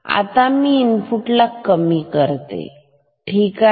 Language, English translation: Marathi, Now say if I am decreasing the input ok